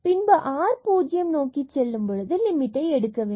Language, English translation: Tamil, So, when r goes to 0 this limit will be 0